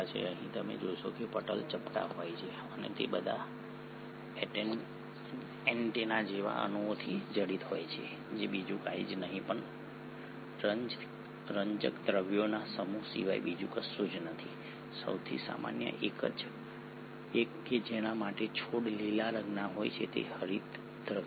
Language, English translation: Gujarati, Here you find that not only are the membranes flattened and are studded with all these antenna like molecules which is nothing but a set of pigments, the most common one for which the plants are green in colour is the chlorophyll